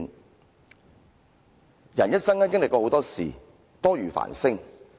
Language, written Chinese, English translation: Cantonese, 一個人在一生中會經歷很多事，多如繁星。, One will experience numerous events in ones life literally as numerous as the stars in the sky